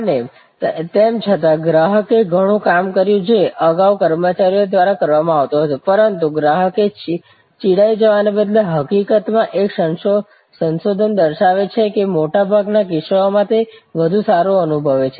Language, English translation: Gujarati, And even though therefore, customer did lot of work which was earlier done by employees, the customer in fact instead of feeling irritated, a research showed in most cases felt much better